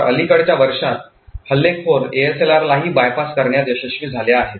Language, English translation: Marathi, So, in the recent years, attackers have been able to bypass ASLR as well